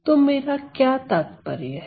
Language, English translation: Hindi, So, what do I mean by that